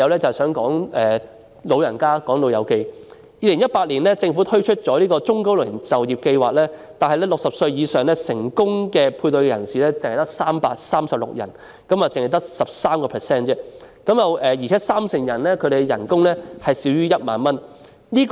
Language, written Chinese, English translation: Cantonese, 政府在2018年推出中高齡就業計劃，但60歲以上成功配對的只有336人，三成人士的薪酬更少於1萬元。, The Government introduced the Employment Programme for the Elderly and Middle - aged in 2018 but only 336 13 % elderly job seekers aged 60 or above were successfully engaged and 30 % of them were paid less than 10,000